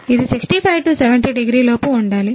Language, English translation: Telugu, It must be within 65 70 degree